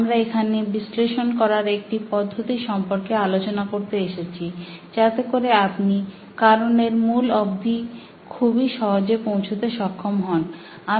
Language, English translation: Bengali, We're here to discuss an analysis tool that will help you figure out a root cause quite easily